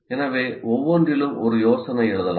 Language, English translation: Tamil, So one can write one idea in each one